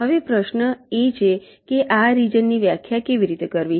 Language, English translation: Gujarati, now the question is how to define this regions like